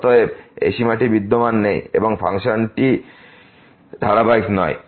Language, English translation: Bengali, Hence, this limit does not exist and the function is not continuous